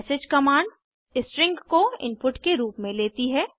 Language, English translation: Hindi, message command takes string as input